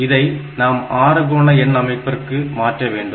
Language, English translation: Tamil, This is 2 D in the hexadecimal number system